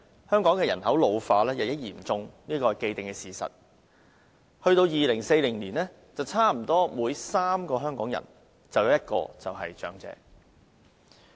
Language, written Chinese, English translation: Cantonese, 香港人口老化日益嚴重是既定事實，到2040年，差不多每3個香港人便有1個是長者。, It is an established fact that population ageing is worsening in Hong Kong . By 2040 about one in every three Hongkongers will be an elderly person . The number of elderly in poverty is also increasing